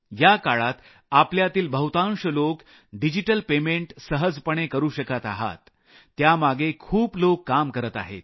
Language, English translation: Marathi, During this time, many of you are able to make digital payments with ease, many people are working hard to facilitate that